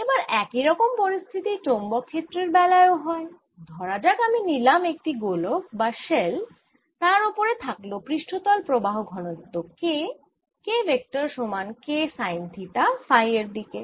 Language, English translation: Bengali, so for a magnetic field a similar situation occurs if i take a sphere, rather a shell, and have a surface current density k on it, which is k sine theta in the phi direction